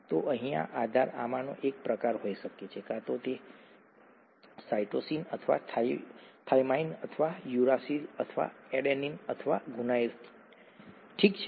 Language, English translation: Gujarati, So this base here could be one of these kinds, either a cytosine or a thymine or uracil or an adenine or a guanine, okay